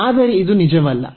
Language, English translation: Kannada, Well, so that is true